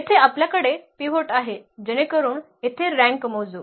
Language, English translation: Marathi, Here we have pivot so that will go count to the rank here